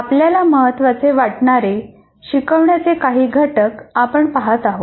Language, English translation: Marathi, And here we look at some instructional components which we consider most important